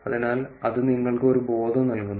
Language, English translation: Malayalam, So, that is gives you a sense